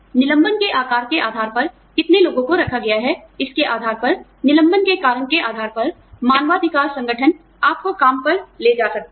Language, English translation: Hindi, We, depending on the size of the layoff, depending on, how many people are laid off, depending on, the reasons for the layoff, human rights organizations, may take you to task